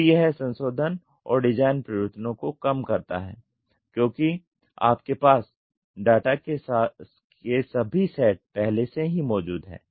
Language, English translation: Hindi, So, it reduces the revision and design changes because you have all sets of data as upfront